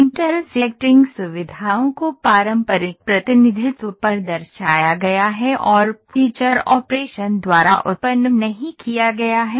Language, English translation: Hindi, Intersecting features are represented on conventional representation and not generated by feature operation